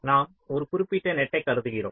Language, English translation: Tamil, we are talking about the individual nets